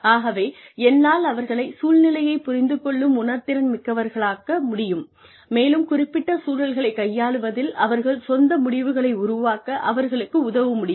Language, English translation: Tamil, So, I can only make them sensitive to the environment, and help them devise their own ways, of dealing with specific environments